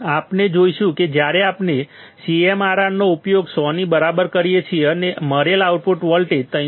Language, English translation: Gujarati, We will see that when we use CMRR equal to 100; the output voltage that we got was 313